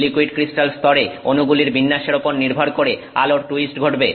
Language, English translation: Bengali, In the liquid crystal layer based on the orientation of the molecules, the light is twisted